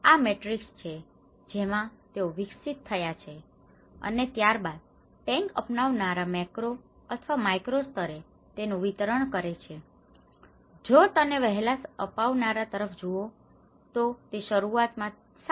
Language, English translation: Gujarati, So, this is the matrix they developed in and then, the tank adopters distribution at macro or the and the micro level, if you look at it the early adopters was at 7